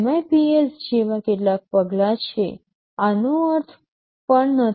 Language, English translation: Gujarati, There are some measures like MIPS; this also does not mean anything